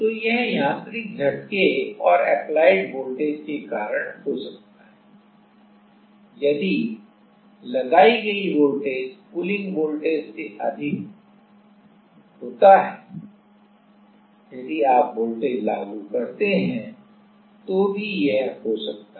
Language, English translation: Hindi, So, that can be because of mechanical shock and voltage applied more than V p V p minus V pullin, more than pullin voltage if you apply more than pullin voltage, if you apply voltage then also it can happen